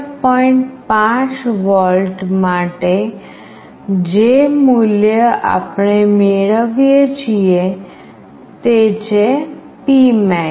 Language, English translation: Gujarati, 5 volt the value we are getting is P max